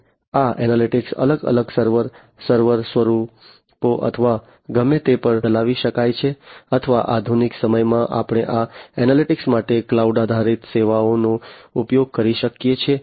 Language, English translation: Gujarati, And these analytics could be run at different server, server forms or whatever or in the modern day we can used cloud based services for these analytics, right